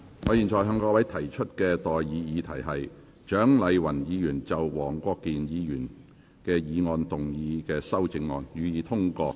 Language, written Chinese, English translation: Cantonese, 我現在向各位提出的待議議題是：蔣麗芸議員就黃國健議員議案動議的修正案，予以通過。, I now propose the question to you and that is That the amendment moved by Dr CHIANG Lai - wan to Mr WONG Kwok - kins motion be passed